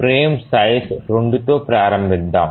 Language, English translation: Telugu, Let's start with the frame size 2